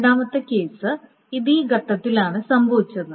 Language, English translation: Malayalam, Now, the second case is this has happened at this stage